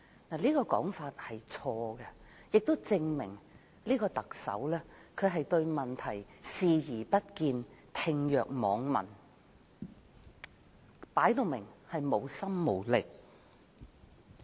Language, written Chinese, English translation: Cantonese, 這種說法實屬錯誤，亦證明這位特首對問題視而不見、置若罔聞，明顯是無心無力。, Such a statement is wrong serving to show this Chief Executive obviously lacking both the will and ability is turning a blind eye and a deaf ear to the issue